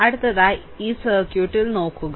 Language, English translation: Malayalam, So, look in this circuit, right